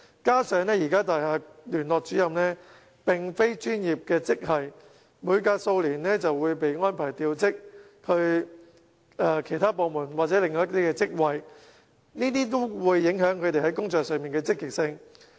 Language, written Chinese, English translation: Cantonese, 再者，現時的大廈聯絡主任並非專業職系，每隔數年便會被安排調職往其他部門或職位，這都會影響其在工作上的積極性。, Moreover Liaison Officers are not professional grade officers and they are therefore redeployed to other departments or posts every few years . All these will affect their job motivation